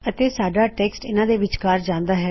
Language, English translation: Punjabi, And our text goes in between here